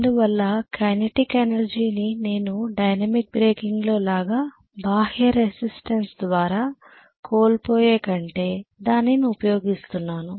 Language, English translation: Telugu, Because of which I am utilizing the process of losing the kinetic energy rather than dissipating it in the external resistance what I did in dynamic breaking